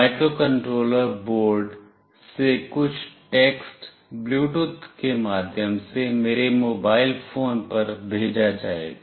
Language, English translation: Hindi, Some text from the microcontroller board will be sent to my mobile phone through Bluetooth